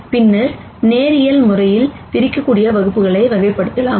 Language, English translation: Tamil, And then classifying classes that are linearly separable